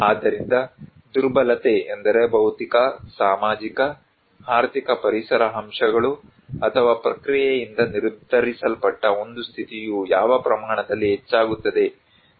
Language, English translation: Kannada, So, vulnerability is that a condition that determined by physical, social, economic environmental factors or process which increases at what extent